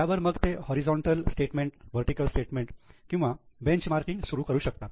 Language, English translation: Marathi, So, they may either go for horizontal statement, vertical statement or benchmarking